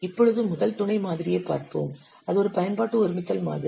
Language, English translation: Tamil, Now let's see the first sub model, that is the application composition model